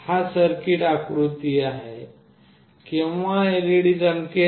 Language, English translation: Marathi, This is the circuit diagram, when the LED will glow